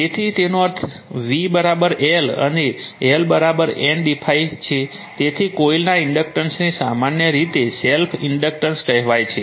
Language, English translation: Gujarati, So, that means, v is equal to L and L is equal to N into d phi, so inductance of the coil commonly called as self inductance